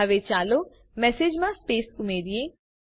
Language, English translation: Gujarati, Now let us add the space to the message